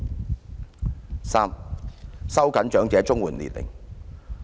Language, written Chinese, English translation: Cantonese, 第三，收緊長者綜援年齡。, Third it is about tightening the eligibility age for elderly CSSA